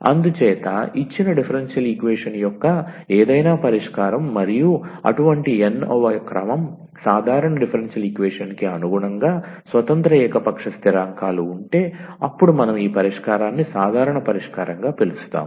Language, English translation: Telugu, So, any solution of this differential equation of a given differential equation and if it has n independent arbitrary constants corresponding to the such nth order, ordinary differential equation then we call this solution as general solution